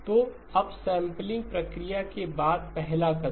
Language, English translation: Hindi, So the first step after the upsampling process